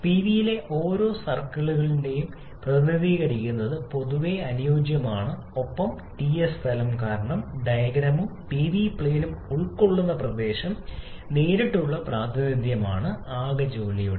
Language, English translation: Malayalam, It is generally ideally suited to represent each of circles on both Pv and Ts plane because area enclosed by the diagram and the Pv plane is a direct representation of the total work done